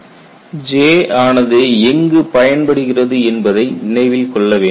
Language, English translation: Tamil, And you also keep in mind where J is applicable